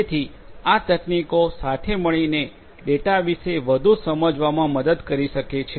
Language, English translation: Gujarati, So, these techniques together can help in getting more insights about the data